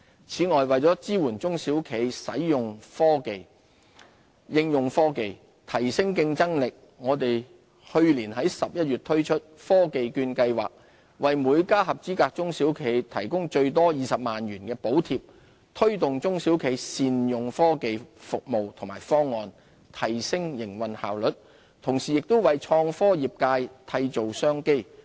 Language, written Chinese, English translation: Cantonese, 此外，為支援中小企應用科技提升競爭力，我們去年11月推出科技券計劃，為每家合資格中小企提供最多20萬元的補貼，推動中小企善用科技服務及方案，提升營運效率，同時亦為創科業界締造商機。, Last November we introduced the Technology Voucher Programme to provide each eligible SME with funding of up to 200,000 . The programme promotes the effective use of technological services and solutions among SMEs for better operational efficiency and creates business opportunities for the IT industry